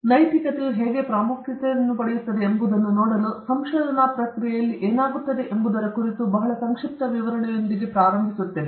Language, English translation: Kannada, So, we will begin with a very brief explanation of what happens in the research process, just to see how ethics becomes important there